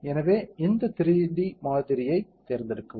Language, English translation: Tamil, So, select this 3D model